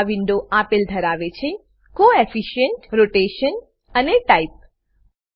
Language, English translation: Gujarati, This window contains fields like Coefficient, Rotation and Type